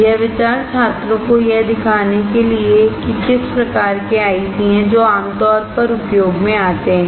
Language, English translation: Hindi, The idea is to use it to show the students what are the kind of ICs that that you generally come across